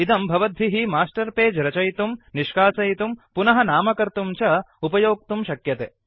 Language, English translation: Sanskrit, You can use this to create, delete and rename Master Pages